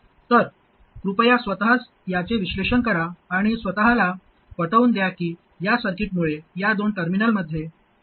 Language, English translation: Marathi, So please analyze this by yourselves and convince yourself that the resistance that appears between these two terminals because of this circuit is 1 by Gm